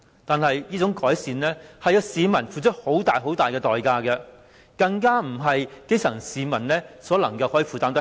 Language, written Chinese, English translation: Cantonese, 但是，這種改善需要市民付出很大代價，更不是基層市民所能負擔的。, Having said that such improvement carries an enormous price payable by the people and what is more the price is beyond the affordability of the grass - roots people